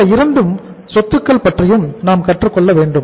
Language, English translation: Tamil, So we will have to learn about these 2 assets also